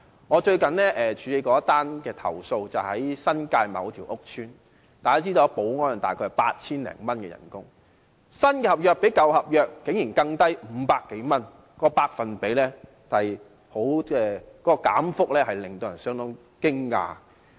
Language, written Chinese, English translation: Cantonese, 我最近處理的一宗投訴是關於新界某個屋邨，大家知道保安員的月薪大約是 8,000 多元，但新合約提出的薪酬竟然較舊合約低500多元，當中的減幅令人相當驚訝。, A complaint which I have recently handled concerns a certain housing estate in the New Territories . As we all know the monthly salary of a security guard is 8,000 - odd but surprisingly the salary offered in the new contract was 500 - odd lower than that in the old contract . The rate of cut was shocking